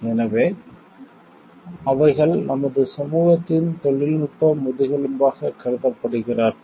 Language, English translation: Tamil, So they are considered to be the technical backbone of our society